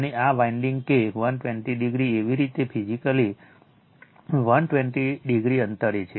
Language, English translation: Gujarati, And these winding that 120 degree your physically 120 degree a apart